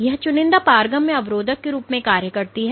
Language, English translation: Hindi, So, it acts as a selectively permeable barrier